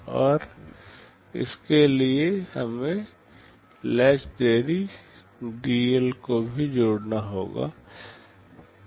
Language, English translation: Hindi, And to it we have to also add the latch delay dL